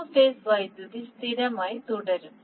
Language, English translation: Malayalam, The three phased power will remain constant